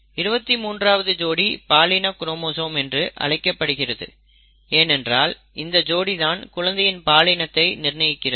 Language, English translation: Tamil, And the 23rd pair is called the sex chromosome because it determines sex of the person